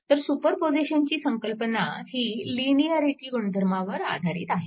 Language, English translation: Marathi, So, idea of superposition rests on the linearity property right